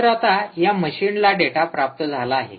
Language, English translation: Marathi, so this machine has now receive the data